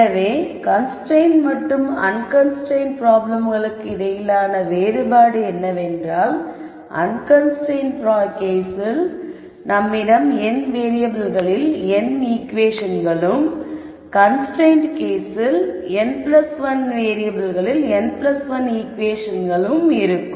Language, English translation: Tamil, So, I can solve this, so to reiterate the di erence between the constrained and unconstrained case was, in the unconstrained case we had n equations in n variables, in the constraint case with just one constraint we have n plus 1 equations in n plus 1 variables